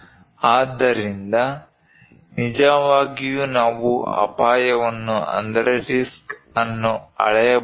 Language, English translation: Kannada, So, really; can we really measure the risk